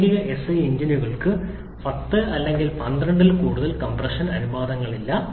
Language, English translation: Malayalam, Practical SI engines hardly have compression ratio greater than 10 or 12